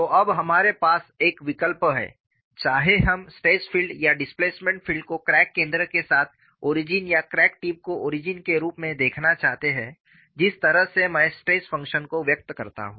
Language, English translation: Hindi, In terms of the stress function, now we have a choice, whether we want to look at the stress field or displacement field with crack center as the origin or crack tip as the origin, depending on the way I express the stress function